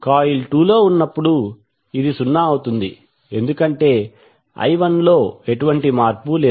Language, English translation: Telugu, While in coil 2, it will be zero because there is no change in I 1